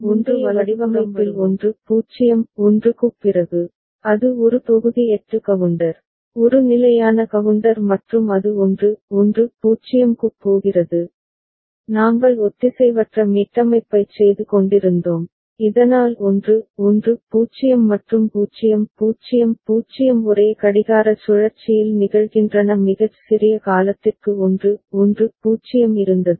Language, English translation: Tamil, Now, after 1 0 1 in earlier design that was a module 8 counter, a standard counter and it was going to 1 1 0 and we were doing an asynchronous reset so that 1 1 0 and 0 0 0 are occurring in the same clock cycle for a very small duration 1 1 0 was there